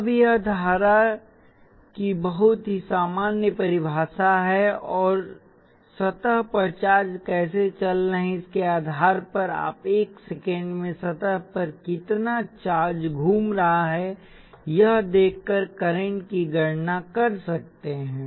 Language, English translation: Hindi, Now this is the very general definition of current and depending on how charges are moving across the surface, you can compute the current by looking at how much charge is moving across the surface in 1 second